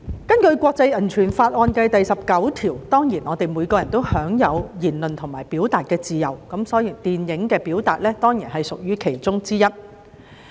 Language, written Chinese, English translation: Cantonese, 根據國際人權法案第十九條，人人當然都享有言論和表達的自由，電影的表達亦屬其中之一。, It is stipulated in Article 19 of the International Bill of Human Rights that everyone has the right to freedom of opinion and expression and expression through film production is certainly included